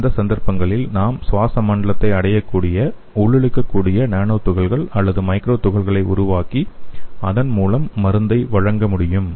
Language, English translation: Tamil, So in those cases we can make an inhalable nano particles or micro particles so that can reach their respiratory system and it can deliver the drug